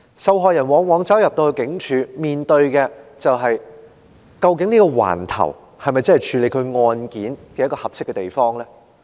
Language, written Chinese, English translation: Cantonese, 受害人走進警署後往往面對的情況是：究竟這個警區是否處理其案件的合適地方呢？, Very often what a victim meets upon entry into the police station is the question of whether the very police district is the right place to handle the case